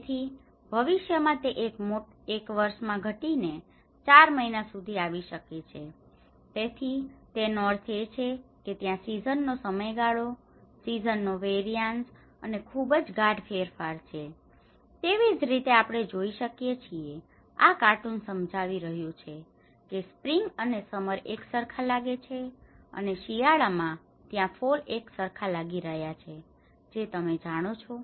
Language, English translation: Gujarati, So, maybe in future it may come up to 4 months in a year so, which means that season duration, the season variances are very subtle changes are there, and similarly, we see that this is a cartoon explaining the spring and summer looks the same, and there is a fall on winter looks the same you know